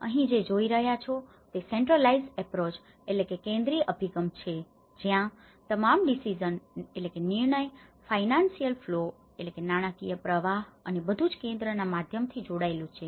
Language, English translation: Gujarati, What you are seeing here, is the centralized approach, where all the decisions all the financial flows and everything is connected through the centre means